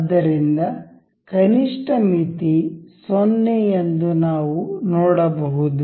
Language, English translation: Kannada, So, we can see the minimum limit was 0